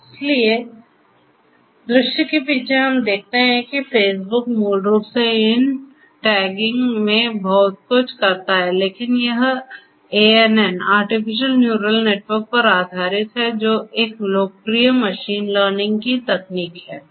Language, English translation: Hindi, So, you know behind the scene we see that Facebook basically does lot of these tagging, but that is based on ANN – artificial neural network which is a popular machine learning technique